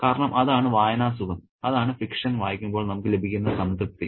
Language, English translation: Malayalam, Because that is the reading pleasure, that is the satisfaction that we get out of reading fiction